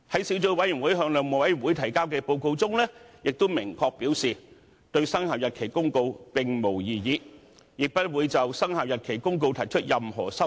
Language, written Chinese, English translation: Cantonese, 小組委員會在其向內務委員會提交的報告中明確表示，對《公告》並無異議，亦不會就《公告》提出任何修訂。, The Subcommittee stated very clearly in its report to the House Committee that it had no objection to the Notice and would not propose any amendment to it